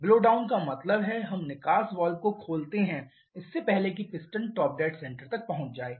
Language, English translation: Hindi, Blowdown means we open the exhaust valve before the piston reaches the top dead center